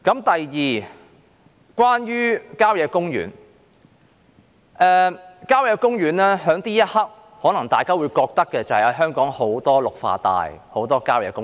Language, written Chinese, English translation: Cantonese, 第二，關於郊野公園，大家現在可能會覺得香港有很多綠化帶和郊野公園。, Next speaking of country parks Members may now think that there are too many green belts and country parks in Hong Kong